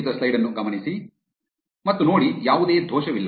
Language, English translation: Kannada, And there you go, there is no error